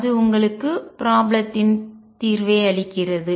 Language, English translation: Tamil, And that gives you the solution of the problem